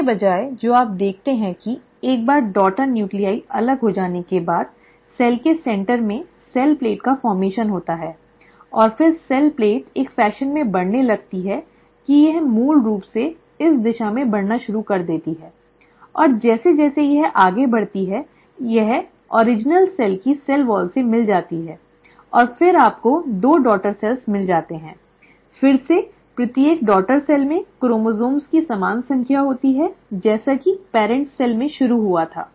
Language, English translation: Hindi, Instead, what you see is once the daughter nuclei have segregated, there is a formation of cell plate right at the centre of the cell and then the cell plate starts growing in a fashion that it starts basically moving in this direction and as it goes on growing, it ends up meeting the original cell's cell wall and ten you end up having two daughter cells, again, each daughter cell having the same number of chromosomes as what it started with in the parent cell